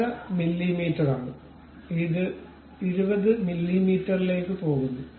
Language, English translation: Malayalam, 5 mm and it goes all the way to 20 mm